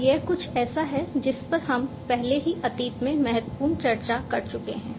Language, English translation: Hindi, And this is something that we have already discussed in significant detailed in the past